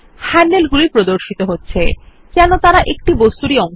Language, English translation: Bengali, The handles appear as if they are part of a single object